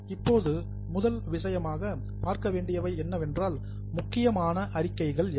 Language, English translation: Tamil, Now, the first thing, what are the important statements